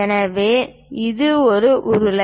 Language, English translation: Tamil, So, it is a cylindrical one